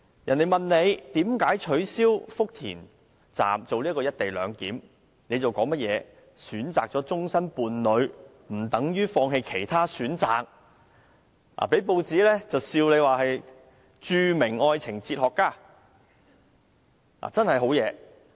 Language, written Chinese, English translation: Cantonese, 當別人問他為何取消福田站"一地兩檢"時，他卻說即使選擇了終生伴侶，也不等於要放棄其他選擇，因而被報章取笑為愛情哲學家。, When he was asked why the co - location arrangement at Futian Station was abandoned he said that even if a lifelong partner had been chosen it did not mean that other options had to be abandoned as well . That is why he was teased and called by newspapers a philosopher of love